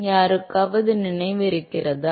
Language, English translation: Tamil, Does anyone remember